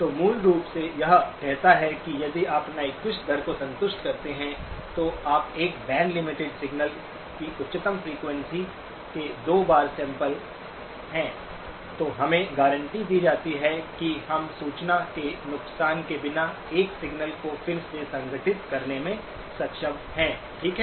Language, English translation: Hindi, So basically it says that if you satisfy Nyquist rate, that is you sample at twice the highest frequency of a band limited signal, then we are guaranteed that we are able to reconstruct a signal without loss of information, okay